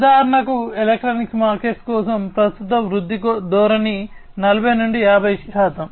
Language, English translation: Telugu, So, for example for electronics market, the current growth trend is about 40 to 50 percent